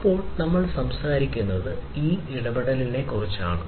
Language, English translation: Malayalam, Then we are talking about this interaction